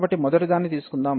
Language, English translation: Telugu, So, let us take the first one